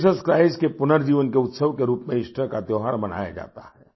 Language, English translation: Hindi, The festival of Easter is observed as a celebration of the resurrection of Jesus Christ